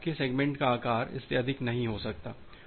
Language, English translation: Hindi, So, your segment size cannot be more than that